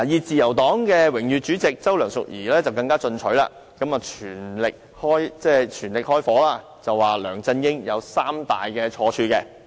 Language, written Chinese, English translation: Cantonese, 自由黨榮譽主席周梁淑怡更加進取，火力全開力數梁振英有三大錯處。, Mrs Selina CHOW Honorary Chair of the Liberal Party LP went even further when she chided LEUNG Chun - ying for three major mistakes